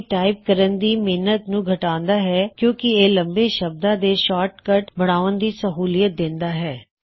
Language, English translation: Punjabi, It saves typing effort by creating shortcuts to long words